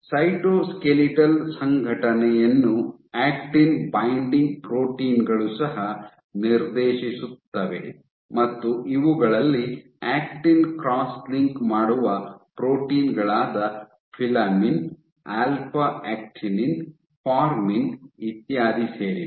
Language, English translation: Kannada, Cytoskeletal organization is also dictated by actin binding proteins by actin binding proteins, these would include cross linking actin cross linking proteins like filamin, alpha actinin, formin etcetera ok